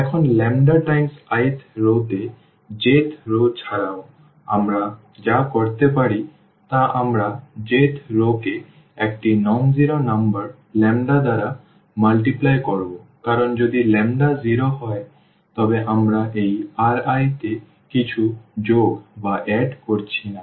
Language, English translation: Bengali, So, what we can do that we will multiply the j th row by a number lambda again non zero number lambda because if lambda is 0, then we are not adding anything to this R i